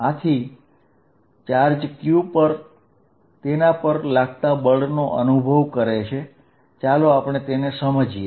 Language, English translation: Gujarati, So, that in other charge q feels a force, let us understand that